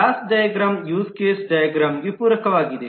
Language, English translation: Kannada, This is where the class diagram is supplementing the use case diagram